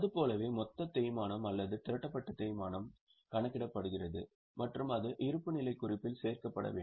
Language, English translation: Tamil, Like that, the total depreciation or accumulated depreciation is calculated and it is to be disclosed in the balance sheet